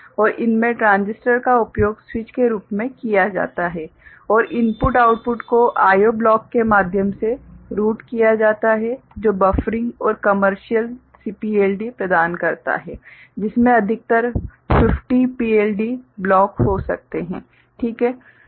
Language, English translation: Hindi, And in this, transistors are used as switches and inputs outputs are routed through I O block which offers buffering and commercial CPLDa can have up to 50 PLD blocks, right